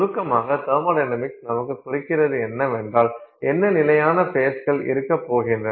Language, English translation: Tamil, So, in summary, thermodynamics indicates to us what stable faces are going to be present